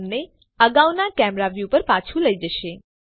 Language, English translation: Gujarati, This will take you back to your previous camera view